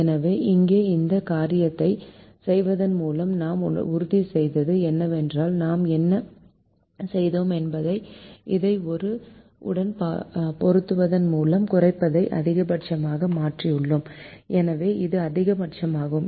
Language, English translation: Tamil, so now, by doing this thing, what we have ensured is that and what we have done is we have change the minimization to a maximization by multiplying this with minus one